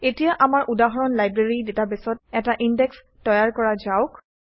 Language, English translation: Assamese, Now let us create an index in our example Library database